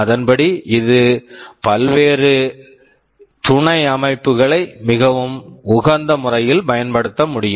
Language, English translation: Tamil, Accordingly it can activate the various subsystems inside in a very optimum way